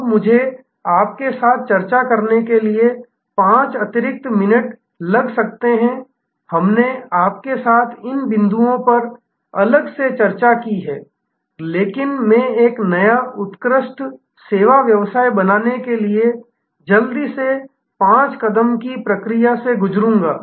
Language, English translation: Hindi, Now, I will take you may be 5 extra minutes to discuss with you we have discussed these points separately, but I will quickly go through five step process for creating a new excellent service business